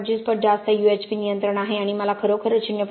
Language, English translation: Marathi, 25 times UHP control I actually want 0